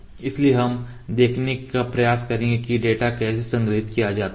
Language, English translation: Hindi, So, we will try to see how the data is stored